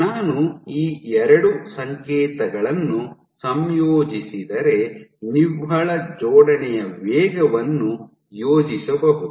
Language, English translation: Kannada, So, if I combine these two signals what I can get I can plot the net assembly rate